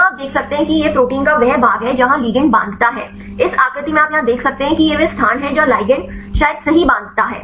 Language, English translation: Hindi, Here you can see this is the part of the protein where the ligand binds, in this figure you can see here this is the place where the ligand can probably bind right